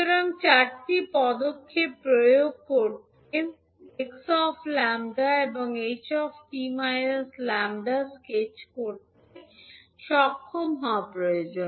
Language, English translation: Bengali, So to apply the four steps, it is necessary to be able to sketch x lambda and h t minus lambda